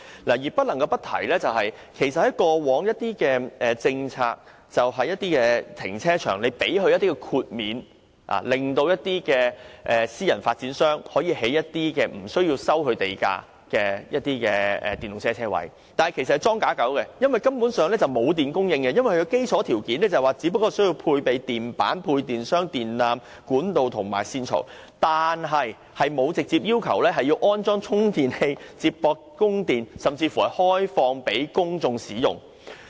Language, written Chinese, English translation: Cantonese, 我不得不提的是，在以往的政策下，政府會提供豁免，讓私人發展商無須繳付地價在停車場內設置電動車泊車位，但有關泊車位只是"裝假狗"，根本沒有電力供應，因為基礎條件只包括須配備配電板、配電箱、電纜、管道和線槽，政府並沒有規定充電器必須接駁電源，亦沒有規定須開放予公眾使用。, I must say that as a long - standing policy the Government will exempt private developers from land premium payment in return for providing EV parking spaces in their car parks . But they are merely equipped with bogus charging facilities in the sense that they are not connected to any power source . The reason is that the basic conditions only include the provision of switchboards distribution boards cabling conduits and trunking